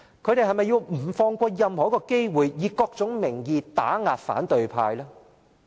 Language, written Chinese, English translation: Cantonese, 他們是否不放過任何一個機會，以各種名義打壓反對派？, Is it true that pro - establishment Members will miss no opportunity to suppress the opposition under various pretexts?